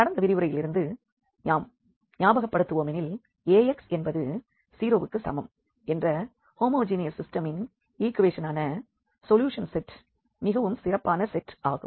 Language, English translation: Tamil, And, just to recall from the previous lecture what we have seen for instance this solution set of the homogeneous system of equations Ax is equal to 0, that is a very special set